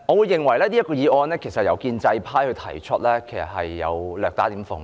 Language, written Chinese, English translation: Cantonese, 這項議案由建制派提出，我認為其實略帶諷刺。, I consider it slightly ironic for the motion to be proposed by the pro - establishment camp